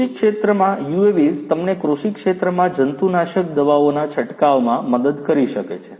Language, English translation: Gujarati, UAVs in agriculture could help you in spraying of pesticides in the agricultural field